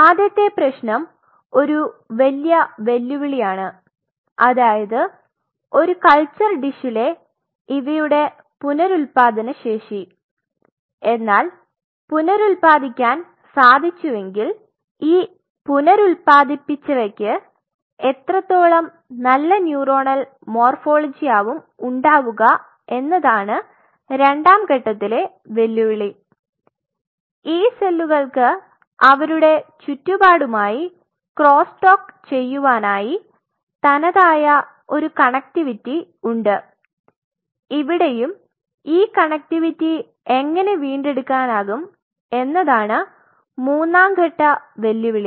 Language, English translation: Malayalam, First problem is they are extremely challenging regenerative ability in a culture dish even if you can regenerate them how good neuronal morphology will be regenerated is the second level of challenge, third level of challenges these cells have unique connectivity by virtue of which they cross talk with their surrounding how you can regain that connectivity